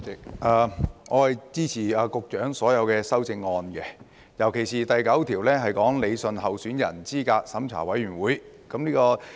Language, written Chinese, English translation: Cantonese, 代理主席，我支持局長的所有修正案，尤其是第9組關於理順候選人資格審查委員會。, Deputy Chairman I support all the amendments proposed by the Secretary in particular group 9 which deals with rationalizing the Candidate Eligibility Review Committee CERC